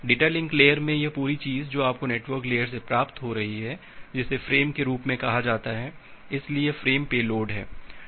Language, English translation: Hindi, In the data link layer, this entire thing that you are receiving from the network layer that is termed as a frame, so this is the frame payload